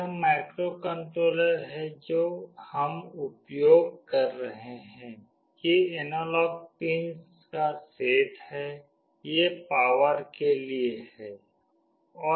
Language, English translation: Hindi, This is the microcontroller that we are using, these are the set of analog pins, these are for the power